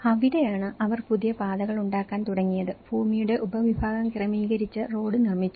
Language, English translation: Malayalam, And that is where then they started making new paths and the land subdivision has been adjusted and the road is built